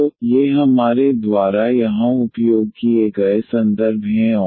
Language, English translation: Hindi, So, these are the references we have used here and